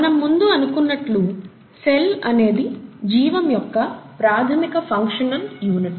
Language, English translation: Telugu, ” As we said, cell is the fundamental functional unit of life